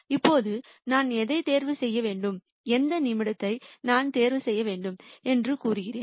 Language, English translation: Tamil, Now, which one should I choose and the minute I say which one should I choose